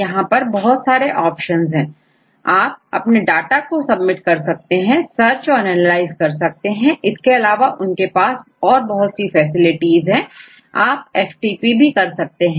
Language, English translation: Hindi, So, here they have a different options, you can submit the data and you can search and analyze the data and all they have the facilities and also you can FTP other information right